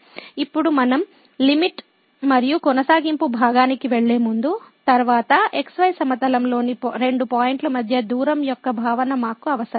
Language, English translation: Telugu, Now, before we move to the limit and continuity part later on, we need the concept of the distance between the two points in plane